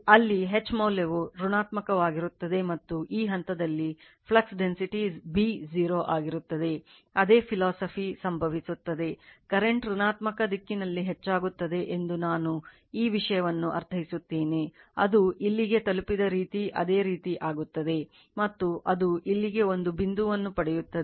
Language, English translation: Kannada, Same philosophy will happen, if you further go on your what you call that your increase the current in the negative direction I mean this thing, the way it has reached here same way it will the right, and it will get as get a point there like your saturated point you will get there